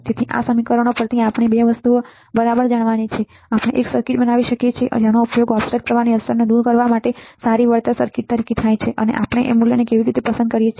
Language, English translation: Gujarati, So, 2 things we have to know from this equations right, that we can design we can design a circuit that can be used as a good compensation circuit for the effect of to remove the effect of the offset current and how we can choose the value of Rt and how we can choose the value of Rs